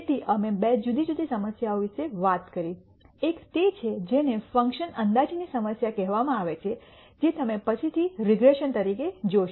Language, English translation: Gujarati, So, we talked about two different types of problems, one is what is called a function approximation problem which is what you will see as regression later